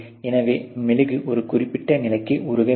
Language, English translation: Tamil, So obviously, the wax has to be melted to a certain level